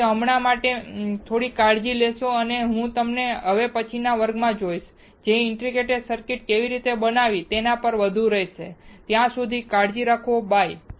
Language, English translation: Gujarati, So, for now you guys take care and I will see you in the next class, which will be more on how to fabricate the integrated circuit, till then you take care, bye